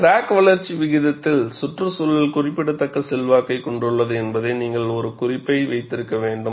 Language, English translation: Tamil, And you will have to keep it note, that environment has a significant influence on crack growth rate